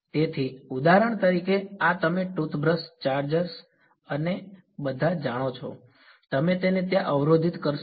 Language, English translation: Gujarati, So, for example, these you know toothbrush chargers and all, you would block it over there